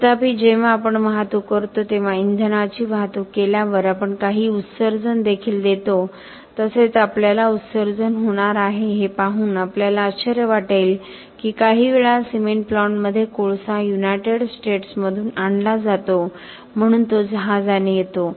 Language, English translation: Marathi, However, whenever we transport, we will also give some emissions when fuel is transported also we are going to have emission we will be surprised to find that sometimes in cement plants coal is being brought in from the United States so it comes by ship and by rail and so on